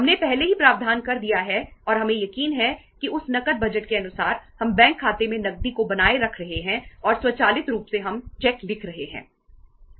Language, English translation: Hindi, We have already made the provision and we are sure that according to that cash budget we are maintaining the cash in the bank account and automatically we are writing the cheques